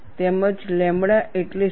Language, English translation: Gujarati, As well as, what is lambda